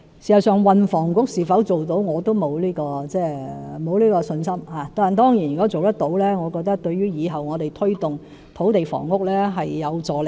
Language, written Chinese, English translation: Cantonese, 事實上，運房局的改組是否可以做到，我也沒有信心，但當然如果做到的話，我認為對以後推動土地房屋政策是有助力的。, In fact I have no confidence in the restructuring of the Transport and Housing Bureau either . In my opinion it will certainly be conducive to the implementation of land and housing policies if the proposal is realized